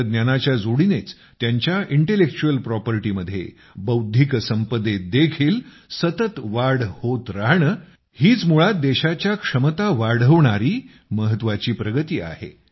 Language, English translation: Marathi, A continuous rise in their intellectual properties through the combination of technology this in itself is an important facet of progress in enhancing the capability of the country